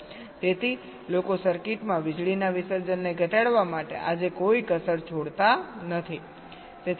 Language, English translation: Gujarati, so people live no stone unturned today to reduce power dissipation in the circuits